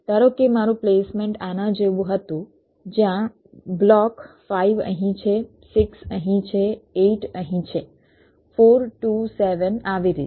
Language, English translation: Gujarati, but suppose my placement was like this, where block five is here, six is here, eight is here four, two, seven, like this